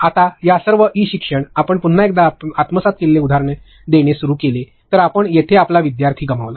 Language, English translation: Marathi, Now, within all of this e learning, if you start giving absorbed examples again you lost your learner there